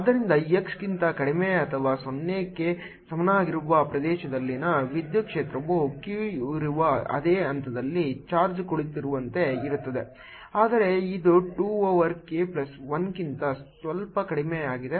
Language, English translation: Kannada, so electric field in the region for x less than or equal to zero is going to be as if the charge is sitting at the same point where q is, but it's slightly less: two over k plus one